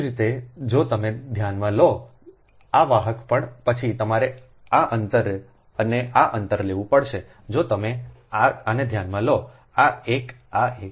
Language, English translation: Gujarati, similarly, if you consider this, this conductor also, then you have to take this distance and this distance if you consider this one, this one, this one